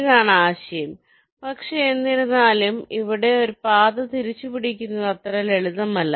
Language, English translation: Malayalam, but, however, here the path retracing is not so simple